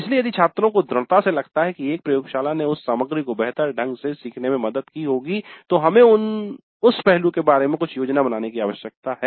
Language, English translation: Hindi, So if the students strongly feel that a laboratory would have helped in learning that material better, then we need to plan something regarding that aspect